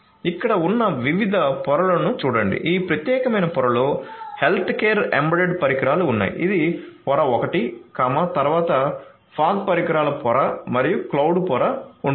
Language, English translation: Telugu, So, look at the different layers over here so we have the healthcare embedded devices in this particular layer this is layer 1, then you have the fog devices layer and the cloud layer